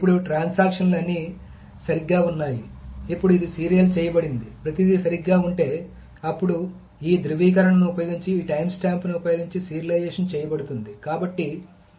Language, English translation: Telugu, Now the transactions, if everything is correct, then this is serialized, if everything is correct, then the serialization is done using this time stamp